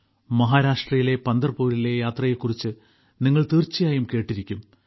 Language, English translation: Malayalam, As you must have heard about the Yatra of Pandharpur in Maharashtra…